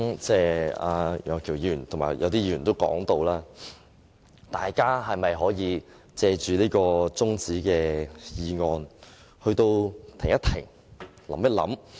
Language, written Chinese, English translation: Cantonese, 正如楊岳橋議員和部分議員所說，大家是否可以藉着中止待續議案停一停，想一想？, As Mr Alvin YEUNG and some Members said should we take the opportunity of this adjournment motion to pause and think?